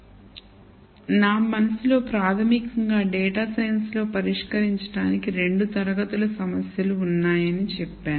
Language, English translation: Telugu, So, in my mind fundamentally I would say that there are mainly 2 class of problems that we solve in data science